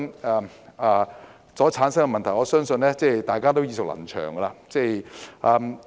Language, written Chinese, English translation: Cantonese, 由此所產生的問題，相信大家也耳熟能詳。, I believe we should be very familiar with the problems arising therefrom